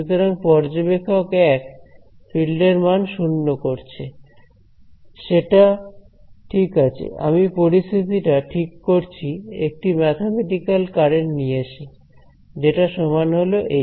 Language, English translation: Bengali, So, observer 1 set the fields equal to 0 that is alright I save the situation by introducing a mathematical remember this is a mathematical current over here which is equal to this